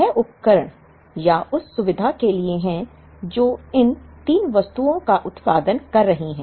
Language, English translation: Hindi, This is for the equipment or the facility that is producing these 3 items